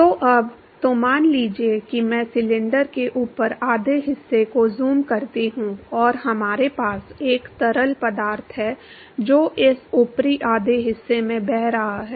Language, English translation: Hindi, So, now; so, suppose I zoom up the upper half of the cylinder and we have a fluid which is flowing past this upper half